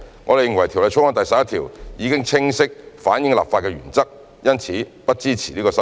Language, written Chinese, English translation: Cantonese, 我們認為《條例草案》第11條已能清晰反映立法原則，因此不支持這項修正案。, As we consider that clause 11 has clearly reflected the legislative intent we do not support this amendment